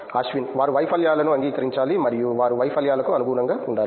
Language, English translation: Telugu, They should accept failures and they should adapt to the failures